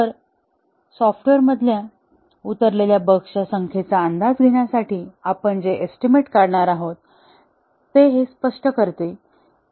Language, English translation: Marathi, So, this explains the expression that we are going to derive, to estimate the number of bugs that are remaining in the software